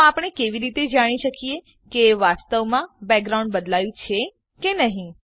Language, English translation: Gujarati, So how do we know that the background has actually changed